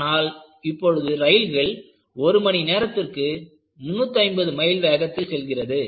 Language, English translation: Tamil, And now, you have trains traveling at the speed of 350 miles per hour